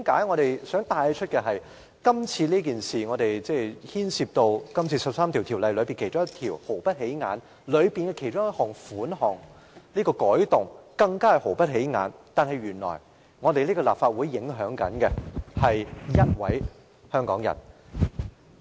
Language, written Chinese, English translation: Cantonese, 我想帶出的是，今次所牽涉的13項附屬法例中，一項毫不起眼的規例的其中一項條款，有關的改動亦是毫不起眼，但原來卻影響了一位香港人。, I wish to point out among the 13 items of subsidiary legislation involved in the motion an inconspicuous amendment in a provision of an inconspicuous regulation has an impact on one Hong Kong citizen